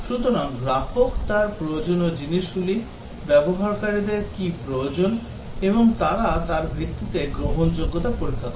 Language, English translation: Bengali, So, the customer, the things that he needs, what the users really need and they conduct the acceptance testing based on that